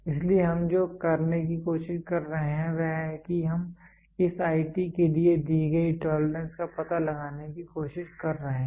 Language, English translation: Hindi, So, what are we trying to do is that we are trying to find out the tolerances given for this IT